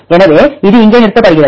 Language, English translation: Tamil, So, this stops here